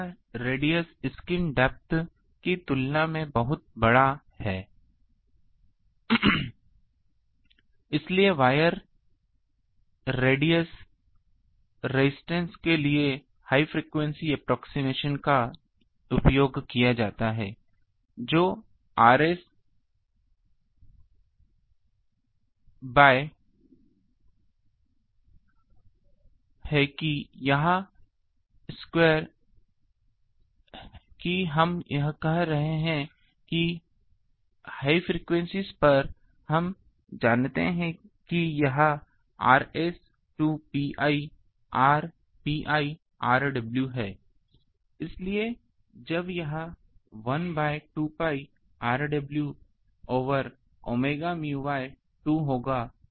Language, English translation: Hindi, So, the ready radius radius is much la much larger than skin depth so, high frequency approximation for wire radius resistance can be used what is that this r wire, that we are saying that at high frequencies, we know this is R S by two pi r w so, when that is 1 by 2 pi r w over omega mu by 2 sigma